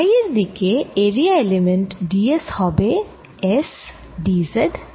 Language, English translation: Bengali, so the area element d s in phi direction is going to be s d z d phi